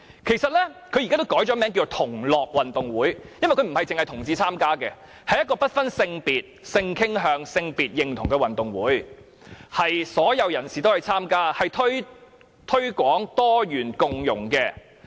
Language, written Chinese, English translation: Cantonese, 其實世界同志運動會也改名為同樂運動會，因為該運動會不單是同志參加，而是不分性別、性傾向、性別認同的運動會，所有人士均可參加，推廣多元共融。, Actually the Gay Games should be renamed the Fun Games because gay people are not the only ones who can participate . Rather it is an event open to people of all sexes sexual orientations and sex identities . It is open to all as it promotes pluralism and integration